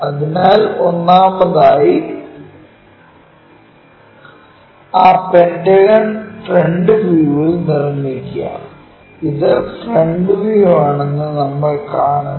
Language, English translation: Malayalam, So, first of all construct that pentagon in the front view and we are looking this is the front view